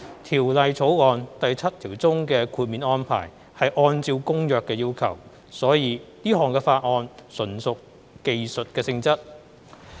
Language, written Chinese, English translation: Cantonese, 《條例草案》第七條中的豁免安排是按照《公約》的要求，所以這項法案純屬技術性質。, As the exemption arrangement in clause 7 of the Bill is drawn up in accordance with the requirements of the Convention the Bill is thus purely technical in nature